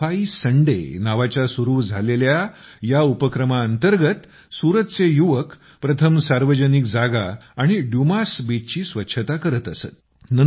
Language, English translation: Marathi, Under this effort, which commenced as 'Safai Sunday', the youth of Suratearlier used to clean public places and the Dumas Beach